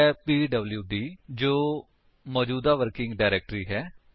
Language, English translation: Punjabi, It is pwd that stands for present working directory